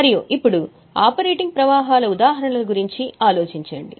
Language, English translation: Telugu, And now think of the examples of operating flows